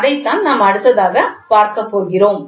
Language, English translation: Tamil, So, that is what we are going to next